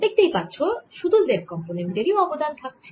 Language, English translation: Bengali, so what we see is it only z component is contributing